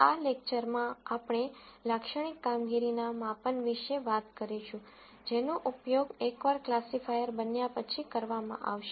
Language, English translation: Gujarati, In this lecture, we will talk about typical performance measures that are used once a classifier is built